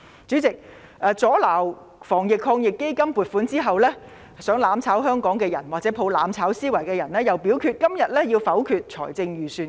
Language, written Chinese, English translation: Cantonese, 主席，阻撓防疫抗疫基金的撥款後，企圖"攬炒"香港的人和抱着"攬炒"思維的人又表示今天要否決預算案。, Chairman after attempting to block the proposed AEF funding those who try to burn together with Hong Kong and embrace the mentality of mutual destruction say that they want to negative the Appropriation Bill today